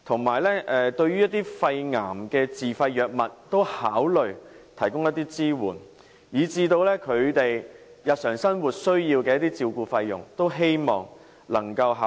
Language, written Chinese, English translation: Cantonese, 此外，對於一些肺癌的自費藥物可以考慮提供一些支援，以至他們日常生活需要的照顧費用，亦希望當局能夠多作考慮。, Furthermore they hope that the authorities can consider the provision of subsidies for certain self - financed drugs for treating lung cancer and even the expenses incurred from taking care of their daily life . They also hope that the authorities can give more consideration to these respects